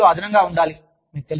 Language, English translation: Telugu, It has to be, a value addition